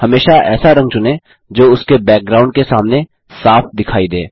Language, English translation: Hindi, Always choose a color that is visible distinctly against its background